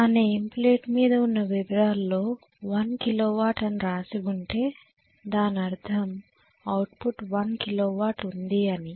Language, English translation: Telugu, In the name plate detail is going to say1 kilo watt that means this is output is 1 kilo watt